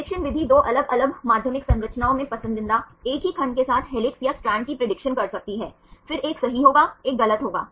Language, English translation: Hindi, The prediction method can predict either helix or strand with the preferred same segment in the 2 different secondary structures then one will be correct one will be wrong